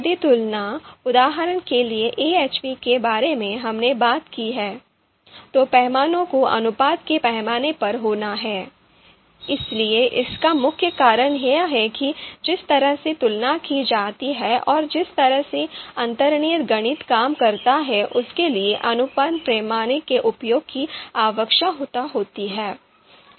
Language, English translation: Hindi, So you know if you know comparisons, for example AHP we talked about that, the scale has to be ratio scale so that is mainly because the way comparisons are done and the way underlying mathematics works it requires usage of you know ratio scale